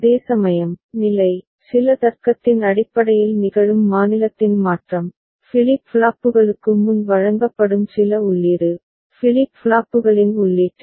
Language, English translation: Tamil, Whereas, the state, the change of the state that occurs based on certain logic, certain input that are presented before the flip flops, at the input of the flip flops